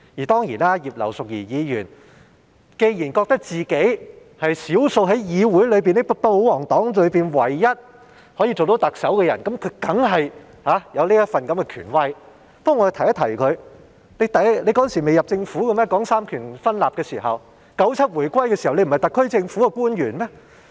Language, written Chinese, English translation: Cantonese, 當然，葉劉淑儀議員既然覺得自己是少數在議會和保皇黨內唯一可以擔任特首的人，那麼她當然有這份權威，但我想提醒她，當年提出三權分立時，難道她仍未加入政府嗎？, Of course since Mrs IP considers herself both in the Council and the pro - government party the only person qualified to be the Chief Executive she does have such authority but I would like to remind her―had she still not joined the Government when the separation of powers was put forth?